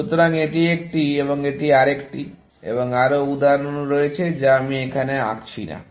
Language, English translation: Bengali, So, this is one, and this is another one, and there are more examples, which I am not drawing here